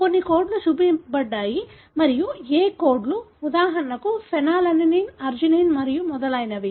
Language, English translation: Telugu, Some codes have been shown and which codes for, for example phenylalanine, arginine and so on